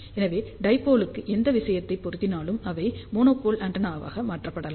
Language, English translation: Tamil, So, whatever things are applicable to dipole, they can be modified to monopole antenna